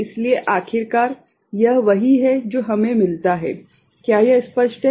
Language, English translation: Hindi, So, finally, this is what we get is it clear